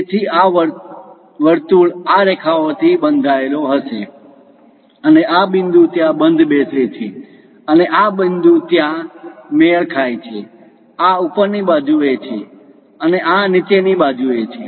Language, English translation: Gujarati, So, this circle will be bounded by these lines and this point matches there and this point matches there; this is on the top side, this is on the bottom side